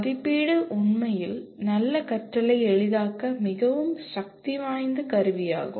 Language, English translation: Tamil, Assessment is really a very powerful tool to facilitate good learning